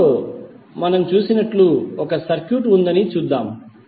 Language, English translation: Telugu, Let us see there is one circuit as we see in the figure